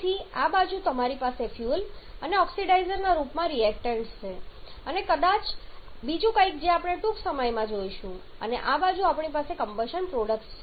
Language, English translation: Gujarati, So, this side you have the reactants in the form of fuel and oxidizer and maybe something else as we shall be seeing shortly and we said we have the combustion products